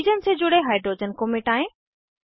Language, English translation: Hindi, Delete the hydrogen attached to the oxygen